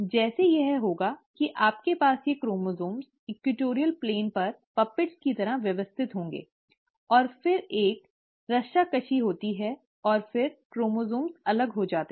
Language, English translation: Hindi, Like it will like you have these chromosomes arranged like puppets on the equatorial plane, and then there is a tug of war, and then the chromosomes get separated